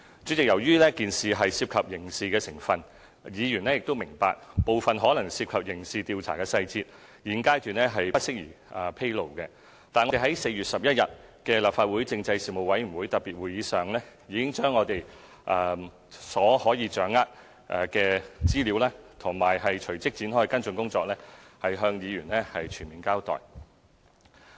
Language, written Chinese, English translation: Cantonese, 主席，由於事件可能牽涉刑事成分，議員亦明白一些可能牽涉刑事調查的細節，現階段不宜披露，但我們在4月11日的立法會政制事務委員會特別會議上，已經把我們所能夠掌握的資料及隨即展開的跟進工作，向議員全面交代。, President the incident may involve criminal elements and Members understand that details that may be involved in criminal investigation should not be disclosed at the present stage . But in the special meeting of the Legislative Council Panel on Constitutional Affairs held on 11 April we did fully reveal to Members all the information available to us and the follow - up work that would subsequently be launched